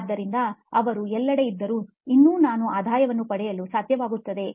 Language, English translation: Kannada, So they can be where they are and still I should be able to get revenue